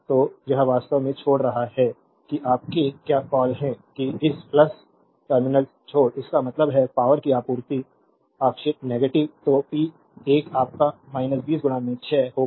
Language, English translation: Hindi, So, it is actually leaving that your what you call that leaving this plus terminal; that means, power supplied convulsively negative therefore, p 1 will be your minus 20 into 6